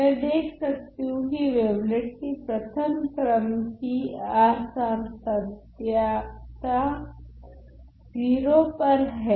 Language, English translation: Hindi, I see that the wavelet has a discontinuity well has a first order discontinuity at 0